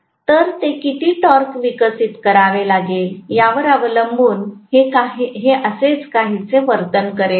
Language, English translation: Marathi, So, it will essentially behave somewhat like that, depending upon how much torque, it has to develop